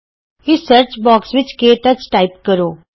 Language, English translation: Punjabi, In the Search box type KTouch